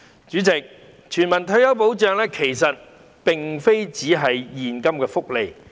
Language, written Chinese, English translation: Cantonese, 主席，全民退休保障並非只是現金福利。, President universal retirement protection does not only involve cash benefits